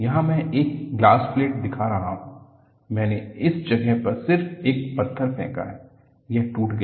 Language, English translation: Hindi, Here, I am showing a glass plate, I have just thrown a stone in this place, it will break